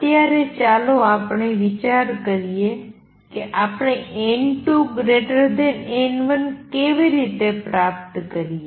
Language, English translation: Gujarati, Right now, let us consider how do we achieve n 2 greater than n 1